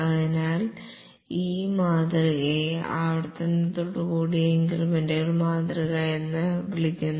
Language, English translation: Malayalam, So this model is called as incremental model with iteration